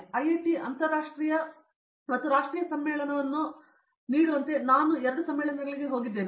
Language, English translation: Kannada, I have been to two conferences as IIT provides a international and a national conference